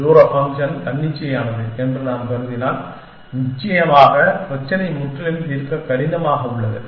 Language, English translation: Tamil, If we assume that, the distance function is arbitrary then, of course the problem is completely hard to solve essentially